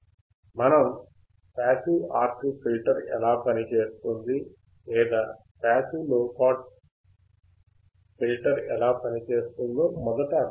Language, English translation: Telugu, We had to first understand how just passive, how passive RC filter will work or passive low pass filter will work